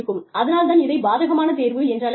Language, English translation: Tamil, So, that is called, adverse selection